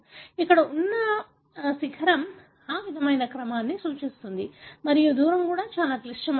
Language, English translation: Telugu, The peak here represent that similar sequence and the distance also very critical